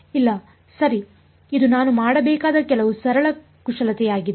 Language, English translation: Kannada, No right it is just some simple manipulation that I have to do